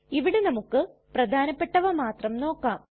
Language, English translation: Malayalam, Here we will see only the most important of them